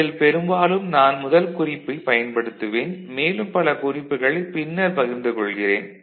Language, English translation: Tamil, So, mostly I shall be using the first reference and more references I shall share later